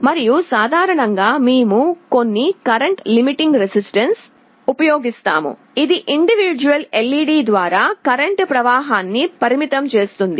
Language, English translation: Telugu, And typically, we use some current limiting resistance, which will limit the total flow of current through an individual LED